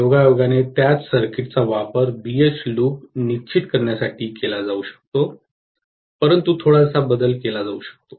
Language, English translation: Marathi, Incidentally the same circuit can be used for determining BH loop but with a little bit of modification